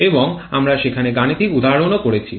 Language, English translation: Bengali, And we have done numerical examples there also